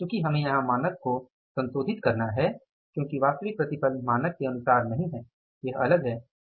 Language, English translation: Hindi, But here because we have to revise the standard because the actual yield is not as for the standard it has differed